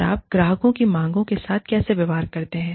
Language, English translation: Hindi, And, how do you deal with, the demands of the clients